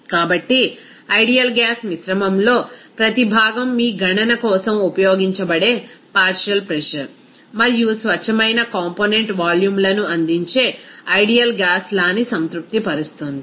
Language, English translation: Telugu, So, in an ideal gas mixture, each component satisfies the ideal gas law that will provide the partial pressure and also pure component volumes that will be used for your calculation